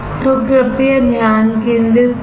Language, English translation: Hindi, So, please focus